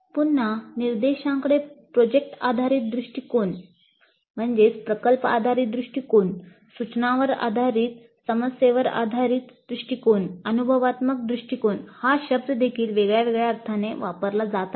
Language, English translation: Marathi, Again like product based approach to instruction, problem based approach to instruction, the term experiential approach is also being used in several different senses